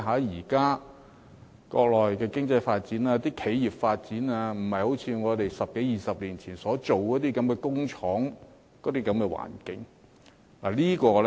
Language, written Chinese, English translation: Cantonese, 現在國內的經濟發展、企業發展的情況，不再是十多二十年前，在國內開設工廠的那種環境。, Unlike the factory environment in the Mainland a decade or two decades ago the economy and enterprises in the Mainland now are very different